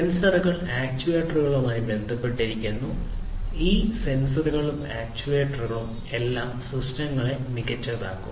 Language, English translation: Malayalam, Sensors and also associated with the sensors are the actuators all these sensors, actuators over; all the transducers will have will make these systems smarter